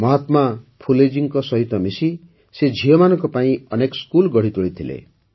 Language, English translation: Odia, Along with Mahatma Phule ji, she started many schools for daughters